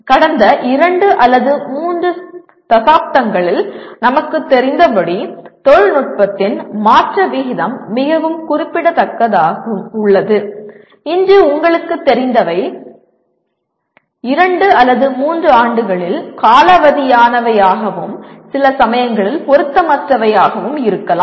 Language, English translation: Tamil, As we know in the last two or three decades, the rate of change of technology has been very significant and what you know today, may become outdated in two or three years and also sometimes irrelevant